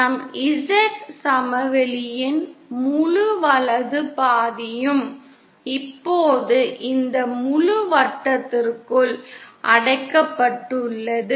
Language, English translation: Tamil, The entire right half of our Z plain is now confined within this entire circle